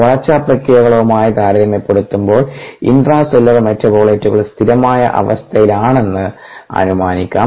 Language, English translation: Malayalam, so and comparison to the growth process, if we are interested in growth related processes, the intracellular metabolites can be assume to be at steady state